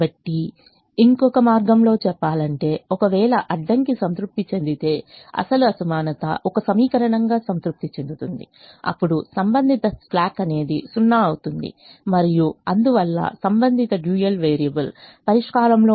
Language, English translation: Telugu, so another way of saying is: if the constraint is satisfied, the original inequality is satisfied as an equation, then the corresponding slack will be zero and therefore the corresponding dual variable will be in the solution